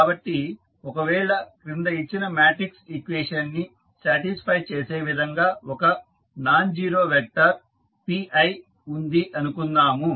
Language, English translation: Telugu, So, suppose if there is a nonzero vector say p i that satisfy the following matrix equation